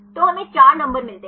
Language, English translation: Hindi, So, we get 4 numbers